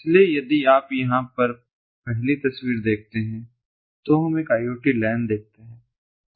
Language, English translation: Hindi, so if you look at the first picture over here, what we see is an is a iot lan